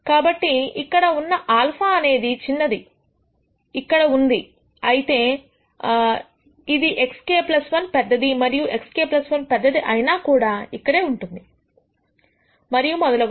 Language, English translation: Telugu, So, if alpha is very small it will be here slightly bigger x k plus 1 will be here even bigger x k plus 1 will be here and so on